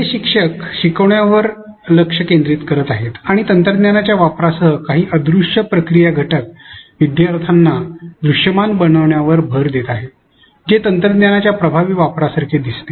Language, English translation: Marathi, Well instructor 1 seems to focus on learning and emphasizes on making some invisible processes, elements visible to the learners with the use of technology which seems like an effective use of technology